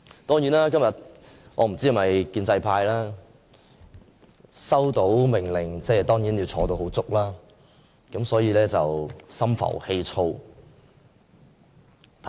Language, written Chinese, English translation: Cantonese, 當然，我不知道建制派今天是否收到命令要全程在席，所以心浮氣躁。, Of course I do not know if the pro - establishment camp has received any order to stay in their seats throughout the entire process which makes them bad tempered today